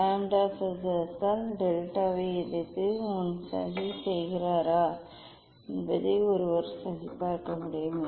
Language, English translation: Tamil, one can verify that one plotting delta versus 1 by lambda square